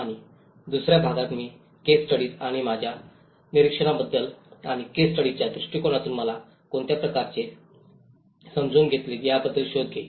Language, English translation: Marathi, And in the second part, I will be actually discussing about the case studies and my observations and findings about what kind of understanding I got it through the case study approach